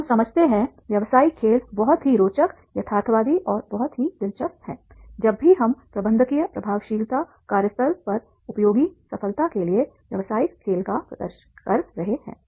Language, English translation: Hindi, So what we understand is that is the business game is a very interesting, realistic and very useful at the workplace whenever we are demonstrating business game for the success to for managerial effectiveness